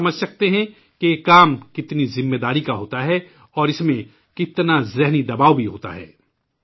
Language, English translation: Urdu, We can understand the magnitude of responsibility involved in such work…and the resultant mental pressure one undergoes